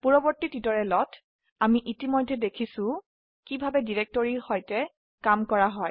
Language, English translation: Assamese, In a previous tutorial we have already seen how to work with directories